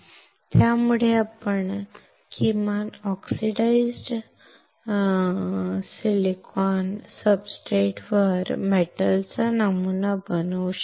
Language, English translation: Marathi, So, we can now at least pattern a metal on the oxidized silicon substrate